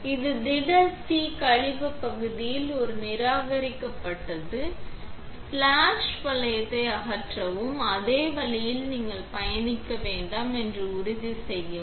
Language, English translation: Tamil, This discarded one in the solid c waste, remove the splash ring and the same way make sure that you do not trip on the way